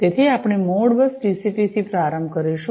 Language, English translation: Gujarati, So, we will start with the ModBus TCP